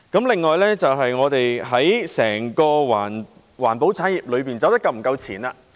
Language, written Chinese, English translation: Cantonese, 另一問題是，我們的整個環保產業是否走得夠前。, Another question is whether our entire environmental industry is advanced enough